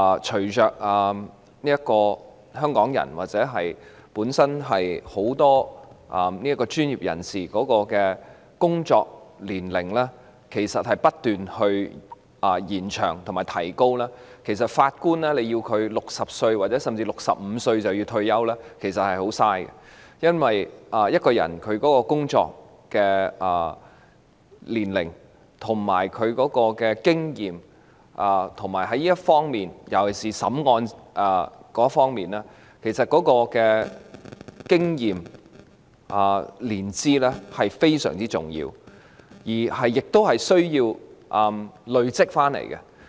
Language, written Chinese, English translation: Cantonese, 隨着香港人或很多專業人士的工作年齡不斷延長，要求法官在60歲或65歲便要退休，其實十分浪費，因為法官的年資對於其經驗——尤其是審理案件方面的經驗——是非常重要的，經驗需要累積而來。, As the retirement age of Hong Kong people or many professionals continue to be extended in fact it is an absolute waste to require Judges to retire at the age of 60 or 65 . Because the service years of Judges are vitally important to their experience especially in respect of the hearing of cases since experience needs to be accumulated